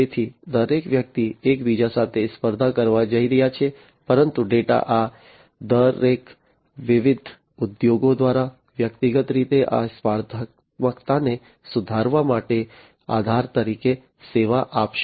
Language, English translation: Gujarati, So, you know, everybody is going to compete with one another, but the data will serve as a basis for improving upon this competitiveness individually by each of these different industries